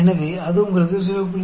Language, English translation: Tamil, So, that gives you 0